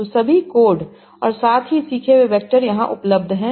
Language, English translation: Hindi, And so all the codes as well as the learned vectors are available here